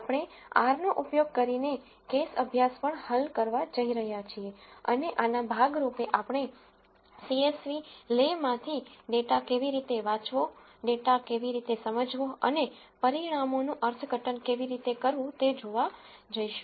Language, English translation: Gujarati, We are also going to solve the case study using R and as a part of this we are going to look at how to read a data from a csv le, how to understand the data and how to interpret the results